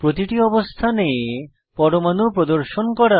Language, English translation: Bengali, Lets display atoms on all positions